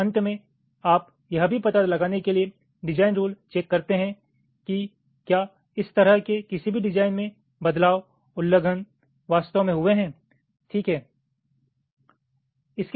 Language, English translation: Hindi, so at the end you can also carry out a design rule check to find out if any such design rule variations, violations have actually taken place